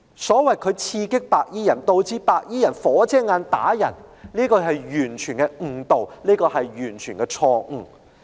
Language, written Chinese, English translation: Cantonese, 所謂"他刺激白衣人，以致白衣人'火遮眼'而打人"的說法，是完全誤導和錯誤的。, The assertion that owing to his provocation those white - clad people beat up civilians out of momentary anger is totally misleading and erroneous